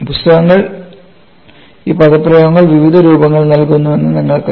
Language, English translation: Malayalam, And you know books give these expressions in the various forms